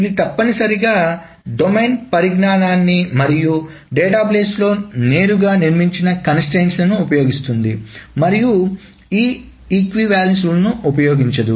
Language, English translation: Telugu, So it uses essentially the domain knowledge and the constraints that are built into the database directly and not this equivalence rules